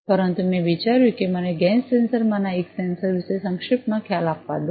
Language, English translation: Gujarati, But I thought that let me give you a brief idea about one of the sensors the gas sensor